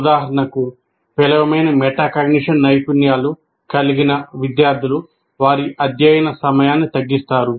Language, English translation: Telugu, For example, students with poor metacognition skills, that poor metacognition reflects in shortening their study time prematurely